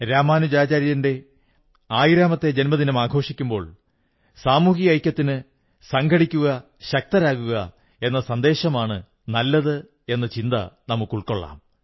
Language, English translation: Malayalam, Now that we are celebrating the 1000th birth anniversary of Ramanujacharya, we should gain inspiration from him in our endeavour to foster social unity, to bolster the adage 'unity is strength'